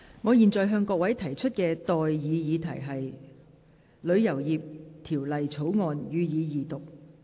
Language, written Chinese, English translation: Cantonese, 我現在向各位提出的待議議題是：《旅遊業條例草案》，予以二讀。, I now propose the question to you and that is That the Travel Industry Bill be read the Second time